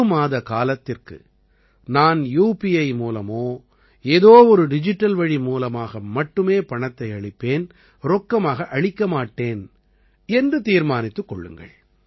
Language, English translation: Tamil, Decide for yourself that for one month you will make payments only through UPI or any digital medium and not through cash